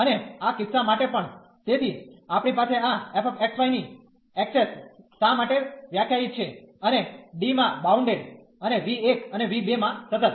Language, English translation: Gujarati, And for this case also, so we have this f 1 access why is defined and bounded and v 1 and v 2 are continuous